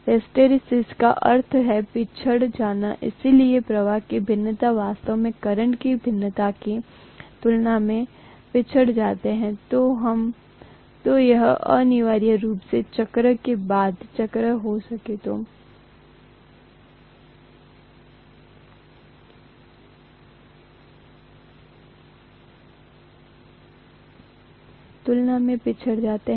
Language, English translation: Hindi, Hysteresis means lagging behind, so the flux actually, the variation in the flux actually lags behind compared to the variation in the current